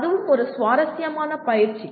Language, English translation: Tamil, That also is an interesting exercise